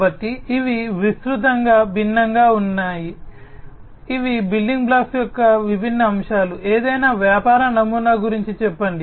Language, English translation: Telugu, So, these are the different broadly, these are the different aspects the building blocks, let us say of any business model